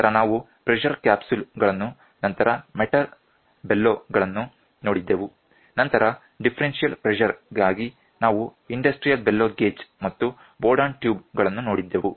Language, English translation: Kannada, Then we also saw pressure capsules then metal bellows, then for differential pressure industrial bellow gauge we saw and Bourdon tubes we saw